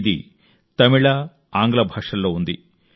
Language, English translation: Telugu, This is in both Tamil and English languages